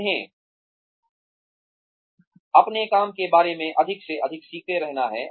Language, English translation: Hindi, They have to keep learning, more and more, about their own work